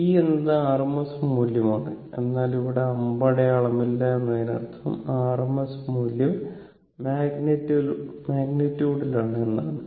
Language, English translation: Malayalam, V is the rms value, but no arrow is here it means rms value magnitude